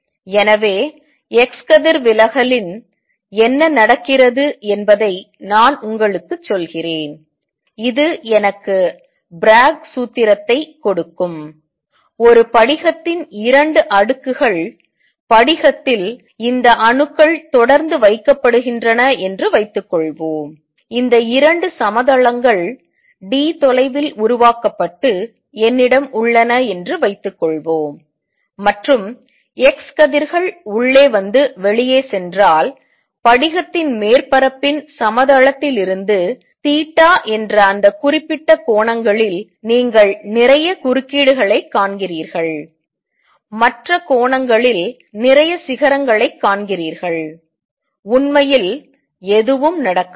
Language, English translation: Tamil, So, let me just tell you what happens in x ray diffraction, this give me the Bragg formula for it, suppose that 2 layers of a crystal, crystal have these atoms which are regularly placed and suppose I have these 2 planes formed by this at a distance d, and if x rays come in and go out what you see at that certain angles theta from the plane of the surface of the crystal, you see lot of interference you see lot of peaks at other angles nothing really happens